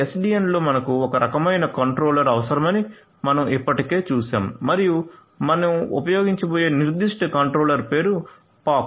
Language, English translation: Telugu, So, in SDN we have already seen that we need some kind of a controller and is the specific controller that we are going to use it is name is pox